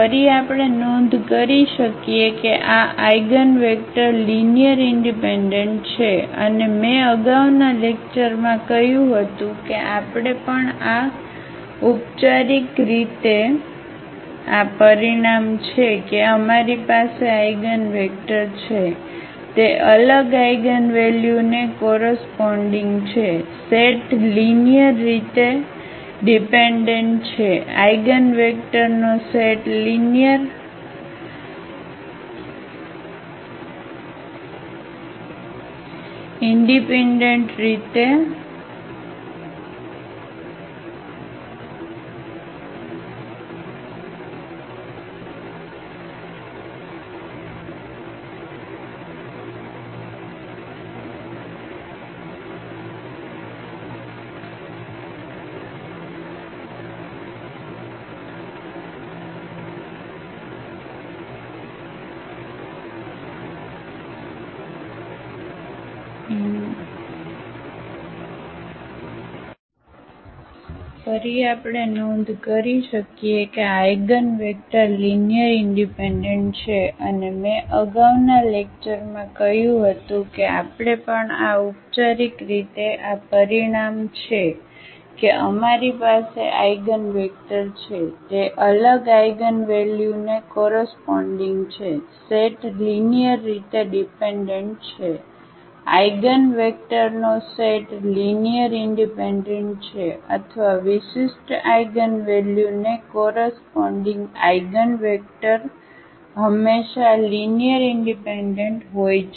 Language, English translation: Gujarati, Again we can note that these eigen vectors are linearly independent and as I said in the previous lecture that we will also proof formally this result that corresponding to distinct eigenvalues we have the eigenvectors, the set is linearly dependent the set of eigenvectors is linearly independent or the eigenvectors corresponding to distinct eigenvalues are always linearly independent